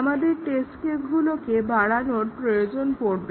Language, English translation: Bengali, We need to augment the test cases